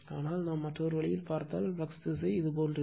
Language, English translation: Tamil, But, if you see in other way, if you can see direction of the flux is like this